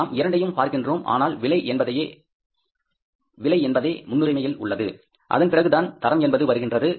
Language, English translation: Tamil, We are looking for both but price is the priority and the quality comes after that